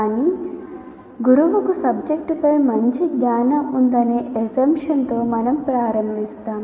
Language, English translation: Telugu, But we start with the assumption that the teacher has a good knowledge of subject matter